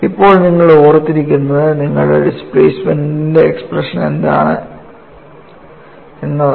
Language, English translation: Malayalam, Now, what you will have to remember is what is the expression for your displacement